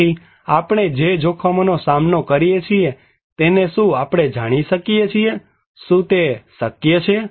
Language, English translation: Gujarati, So, can we know the risks we face, is it possible